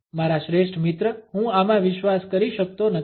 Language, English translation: Gujarati, My best friend I cannot believe this